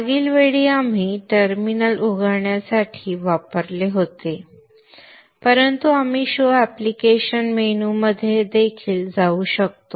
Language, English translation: Marathi, Last time we had used the terminal to open but we could also go into the show applications menu